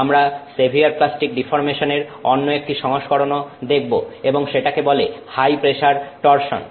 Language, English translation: Bengali, We will also see another version of severe plastic deformation and that is called high pressure torsion